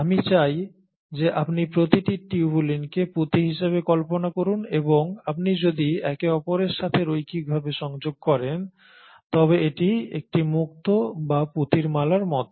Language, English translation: Bengali, So I want you to imagine each tubulin to be a bead and if you connect them linearly to each other it is like a string of pearls or a string of beads